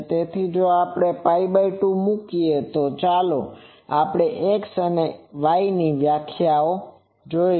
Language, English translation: Gujarati, So, in if we put pi by 2, let us look at X and Y definitions